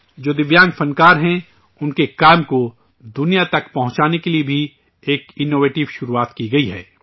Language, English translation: Urdu, An innovative beginning has also been made to take the work of Divyang artists to the world